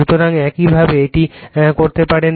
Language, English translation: Bengali, So, this is this way you can make it